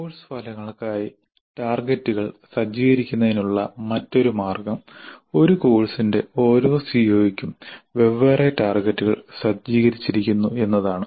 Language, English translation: Malayalam, A other way of setting the targets for the course outcomes can be that the targets are set for each CO of a course separately